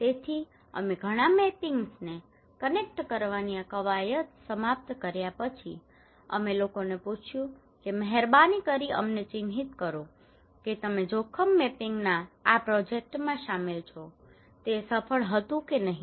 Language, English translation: Gujarati, And so after we finish this exercise of connecting many more mappings and all we ask people that hey please mark us that what how you involved into this project of risk mapping, was it successful or not